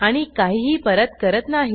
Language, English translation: Marathi, And, it does not return anything